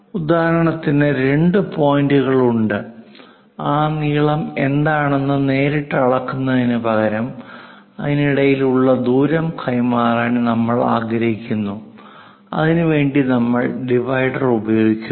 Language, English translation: Malayalam, For example, there are two points; instead of directly measuring what is that length, we would like to transfer the distance between that, so we use divider